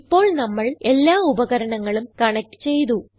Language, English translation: Malayalam, Now that we have connected all our devices, lets turn on the computer